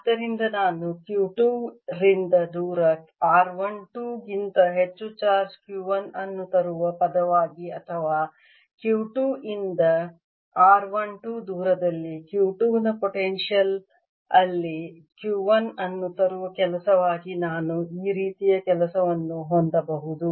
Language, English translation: Kannada, so i could also have a sort of this work as the world and bringing charge q one over distance, r one, two from q two, or the work in bringing q one in the potential of q two at a distance r one, two from q two